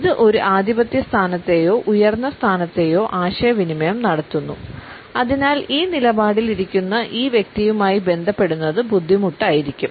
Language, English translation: Malayalam, It also communicates a dominant position or a superior position and therefore, it may be difficult to relate to this person who is sitting in this posture